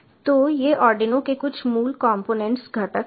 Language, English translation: Hindi, so these are just some of the basic components of the arduino